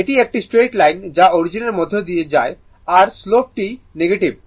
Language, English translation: Bengali, This a straight another straight line passing through the origin the slope is negative right